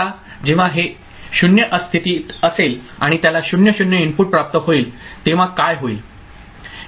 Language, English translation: Marathi, Now when it is at state 0 and it receives a input 0 0, what will happen